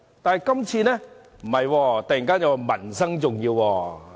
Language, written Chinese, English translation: Cantonese, 但是，今次卻突然說民生重要。, Yet today they suddenly say that peoples livelihood is important